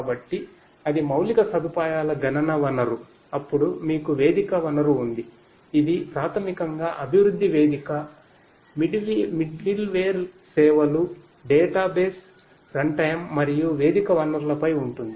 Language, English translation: Telugu, So, that is the infrastructure computing resource, then you have the platform resource which is basically in the form of the development, platform, the middleware services, database runtime and so on the platform resources